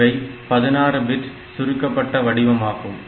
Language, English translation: Tamil, So, it is a 16 bit compressed format